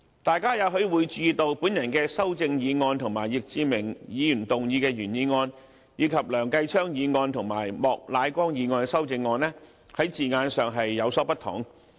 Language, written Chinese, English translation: Cantonese, 大家也許會注意到我的修正案與易志明議員提出的原議案，以及梁繼昌議員和莫乃光議員提出的修正案，在字眼上有所不同。, You may have noticed that the wording of my amendment differs from that of the original motion moved by Mr Frankie YICK as well as that of the amendments proposed by Mr Kenneth LEUNG and Mr Charles Peter MOK